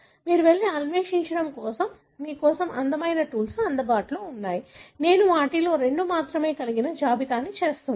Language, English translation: Telugu, There are beautiful tools available for you people to go and explore, I am just listing two of them